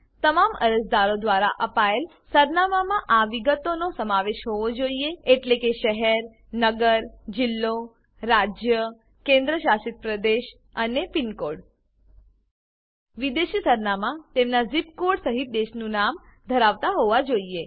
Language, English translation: Gujarati, The address given by all the applicants should include these details Town/City/District, State/Union Territory, and PINCODE Foreign addresses must contain Country Name along with its ZIP Code